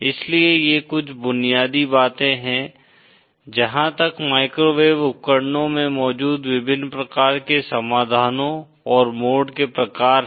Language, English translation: Hindi, So these are some of the fundamentals as far as the various types of solutions and types of modes that are present in microwave devices